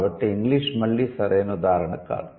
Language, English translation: Telugu, So, English is again not right example